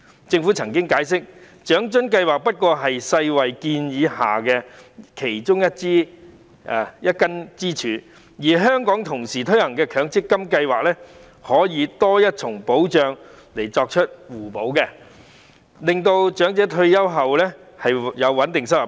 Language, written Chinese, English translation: Cantonese, 政府曾解釋，長津計劃不過是世界衞生組織建議下的其中一根支柱，而香港同時推行的強制性公積金計劃可以提供多一重保障，以作互補，令長者退休後有穩定收入。, The Government once explained that OALA was just one of the pillars recommended by the World Health Organization . The implementation of the Mandatory Provident Fund MPF Scheme in Hong Kong can also provide an additional protection to complement with OALA so as to ensure a stable income for elders after retirement